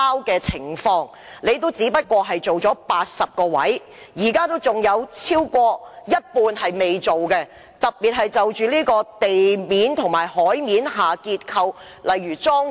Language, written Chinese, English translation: Cantonese, 當局只在80個位置進行測試，仍有超過一半未進行測試，特別是地面及海面的結構，例如樁柱。, Moreover tests have only been conducted at 80 locations and more than half of the locations have not been tested especially the structure of say piles on land and at sea